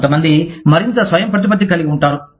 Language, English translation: Telugu, Some people, are more autonomous